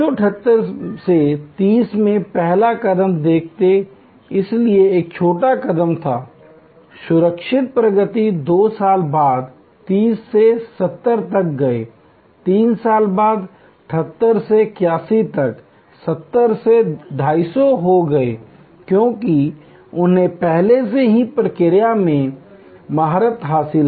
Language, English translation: Hindi, In 1978 from 30, see the first step therefore, was a small step, secure progress, 2 years later from 30, they went to 70, 3 years later from 78 to 81 from 70 they went to 250, because they are already mastered the process